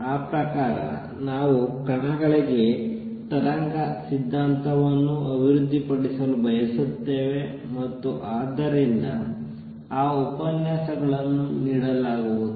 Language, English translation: Kannada, We want to develop a wave theory for particles and therefore, those lectures will given